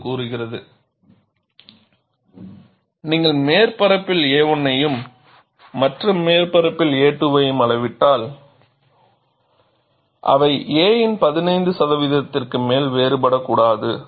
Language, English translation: Tamil, It says, if you measure a 1 on this surface and a 2 on the other surface, they should not differ more than 15 percent of a; and a 1 minus a 2 should not exceed 10 percent of a